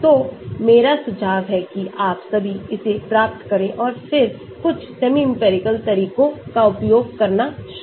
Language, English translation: Hindi, so I suggest that you all get that and then start using some of the semi empirical methods